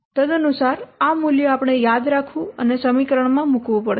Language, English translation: Gujarati, Accordingly, the value of the constants, you have to remember and put in the equation